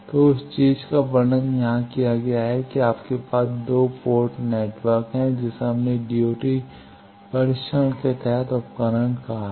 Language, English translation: Hindi, So, that thing is described here that you have A 2 port network we called device under test DUT